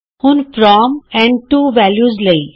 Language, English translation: Punjabi, Now for the From and To values